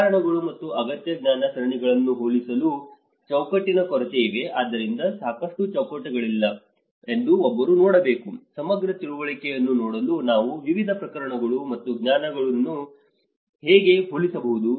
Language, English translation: Kannada, The lack of framework to compare cases and essential knowledge series, so one has to see that there is not sufficient frameworks, how we can compare different cases and the knowledge in order to see a holistic understanding